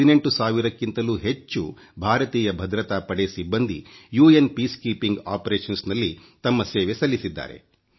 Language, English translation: Kannada, More than 18 thousand Indian security personnel have lent their services in UN Peacekeeping Operations